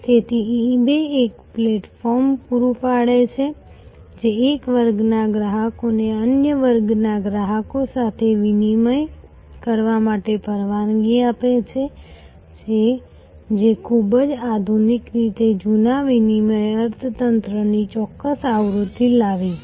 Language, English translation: Gujarati, So, eBay provides a platform, which allows one class of customers to deal with another class of customers to do commerce, which in a very modern way has brought about a certain version of the old barter economy